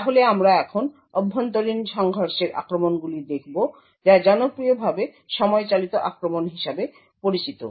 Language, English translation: Bengali, So, we will now look at internal collision attacks these are properly known as time driven attacks